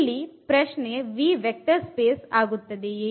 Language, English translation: Kannada, And the question is whether this V forms a vector space